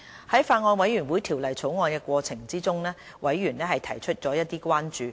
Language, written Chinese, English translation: Cantonese, 在法案委員會審議《條例草案》的過程中，委員提出了一些關注。, During the scrutiny of the Bill members of the Bills Committee have raised certain concerns